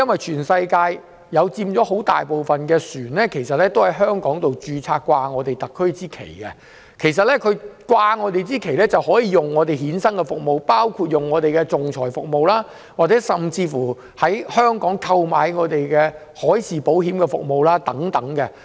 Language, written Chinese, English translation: Cantonese, 全世界很大部分的船隻在香港註冊，掛上特區的旗幟，而掛上特區的旗幟的船隻便能使用我們衍生的服務，包括仲裁服務，甚至在香港購買海事保險等。, Most of the vessels in the world are registered in Hong Kong flying the SAR flag and can hence use our services including arbitration services or take out marine insurance in Hong Kong